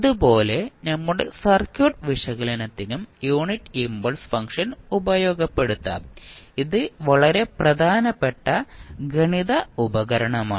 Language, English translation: Malayalam, Similar to that also the unit impulse function can also be utilized for our circuit analysis and it is very important mathematical tool